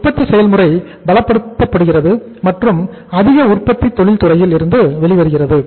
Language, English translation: Tamil, The production process is strengthened and more production comes out of the industry